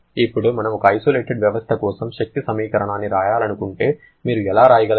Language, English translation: Telugu, Now, if we write the energy equation for an isolated system what you can write